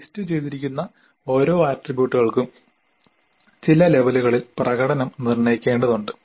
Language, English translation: Malayalam, Then for each of the attributes that is listed here we have to determine certain levels of performance